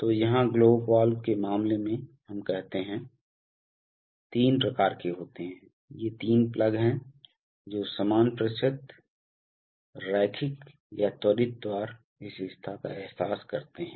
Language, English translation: Hindi, So in the case of the globe valve here, say we have, There are three kinds of, these are three plugs which realize equal percentage, linear or quick opening characteristics